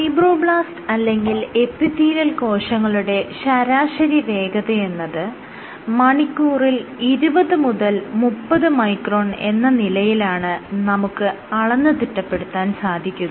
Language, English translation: Malayalam, If I were to measure the average speed of fibroblasts or epithelial cells it is order let us say 20 30 microns per hour